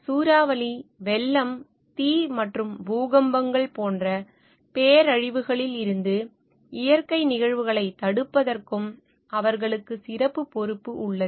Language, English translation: Tamil, They have special responsibility as well for preventing natural events; such as, hurricanes, floods, fires and earthquakes from becoming disasters